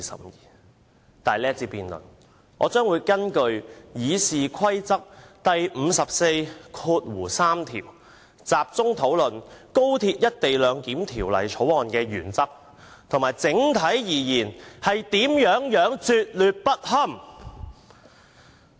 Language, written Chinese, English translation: Cantonese, 然而，在這一節辯論，我將會根據《議事規則》第543條，集中討論《條例草案》的原則及整體而言有多拙劣不堪。, However in this debate in accordance with Rule 543 of the Rules of Procedure I will focus on discussing the principles of the Bill and how abominable it is as a whole